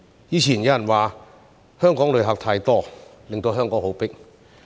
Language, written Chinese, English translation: Cantonese, 以前有人說香港的旅客太多，令香港很擠迫。, Someone said previously that there were too many tourists in Hong Kong making it very crowded